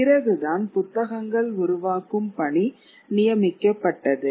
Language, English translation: Tamil, It is only later that books start getting commissioned